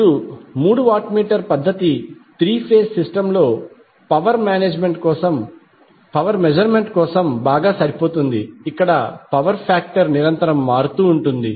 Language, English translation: Telugu, Now these three watt meter method is well suited for power measurement in a three phase system where power factor is constantly changing